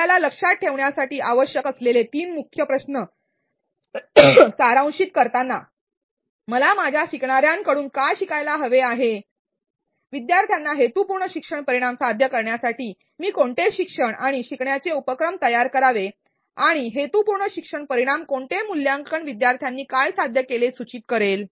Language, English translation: Marathi, To summarize the three main questions that we need to keep in mind are what do I want my learners to learn, what teaching and learning activities should I create to make learners achieve the intended learning outcomes and what assessment task will inform that learners have achieved the intended learning outcomes